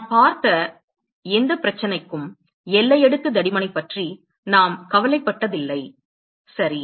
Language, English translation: Tamil, So, that is why we have been concerned about finding the boundary layer thickness ok